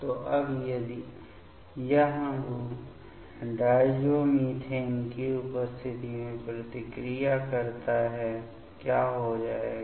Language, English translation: Hindi, So, now, if this molecule react in presence of diazomethane; what will happen